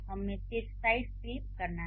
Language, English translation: Hindi, We have to just flip the side